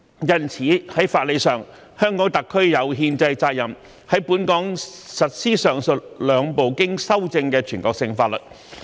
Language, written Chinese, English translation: Cantonese, 因此，在法理上，香港特區有憲制責任在本港實施上述兩部經修正的全國性法律。, Therefore from the legal perspective HKSAR has the constitutional responsibility to implement these two amended national laws locally